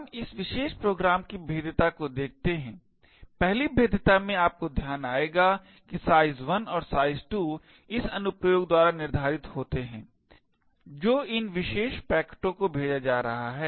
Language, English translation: Hindi, Let us see the vulnerability in this particular program 1st vulnerability you would notice is that size 1 and size 2 are set by the application which is sending these particular packets